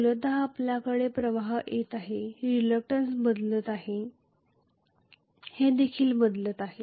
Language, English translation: Marathi, We are having basically the flux is changing reluctance is also changing